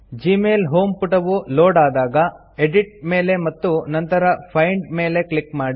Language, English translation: Kannada, When the gmail home page has loaded, click on Edit and then on Find